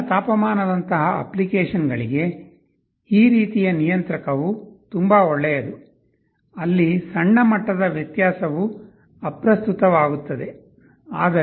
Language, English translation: Kannada, This kind of a controller is quite good for applications like room heating, where small degree difference does not matter